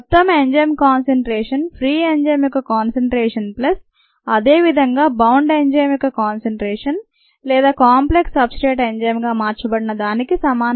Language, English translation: Telugu, the concentration of the total enzyme equals the concentration of the free enzyme plus the concentration of the bound enzyme or bound as enzyme substrate complex